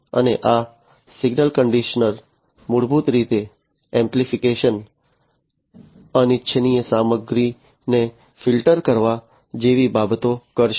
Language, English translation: Gujarati, And this signal conditioner will basically do the things like amplification filtering of noise or filtering of different unwanted stuff and so on